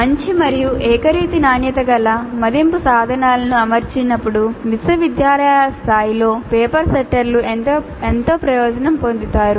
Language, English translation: Telugu, Paper setters at the university level can greatly benefit while setting assessment instruments of good and uniform quality